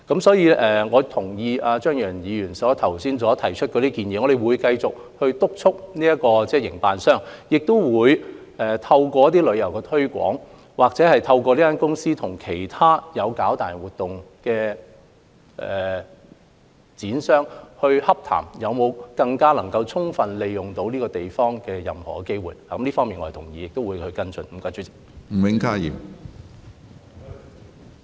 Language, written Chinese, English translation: Cantonese, 所以，我同意張宇人議員剛提出的建議，我們會繼續督促營運商，亦會透過旅遊推廣，又或是透過營運商與其他營辦大型活動的商戶洽談，以拓展任何能夠更充分利用這個地方的機會，我們會繼續跟進這方面的工作。, So I agree to the suggestions of Mr Tommy CHEUNG . We will continue to monitor the operator and strive to increase the opportunities for better utilization of the place by organizing tourism promotion activities or conducting negotiations with organizers of mega events through the operator . We will continue to follow up on the work